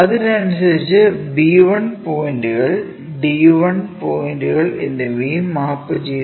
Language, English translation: Malayalam, Correspondingly, the b 1 points, d 1 points are also mapped